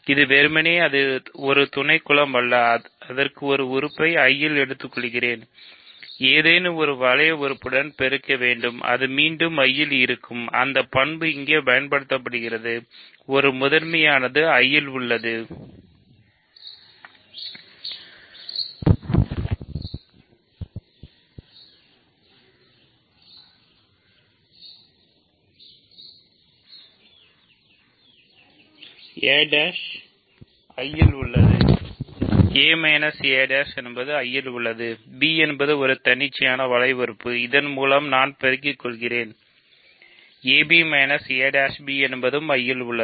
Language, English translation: Tamil, It is not merely a subgroup right, it has a property that you take an element of I, multiply by any ring element, it lands again in I, that property is used here; a minus a prime is in I, b is an arbitrary ring element I multiply by that so, a b minus a prime b is in I